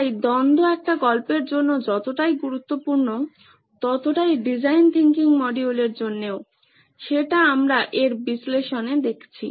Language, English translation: Bengali, So conflict is essential to a story as much as it is to our design thinking module that we are looking at, the analysis of the Analyse module